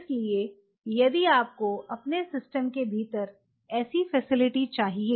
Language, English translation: Hindi, So, if you have to a facility like that within your system